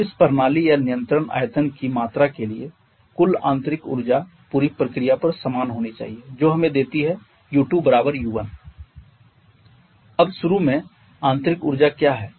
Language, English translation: Hindi, Then the total internal energy for this system or control volume should remain the same over the inter process which gives us U2 to be equal to U1